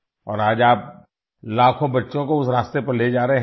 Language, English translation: Hindi, And today you are taking millions of children on that path